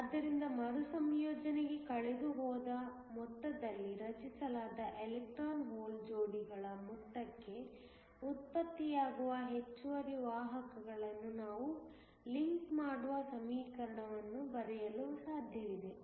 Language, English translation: Kannada, So, it is possible to write an equation where we link the excess carriers that are generated to the amount of electron hole pairs that are created in the amount that is lost to recombination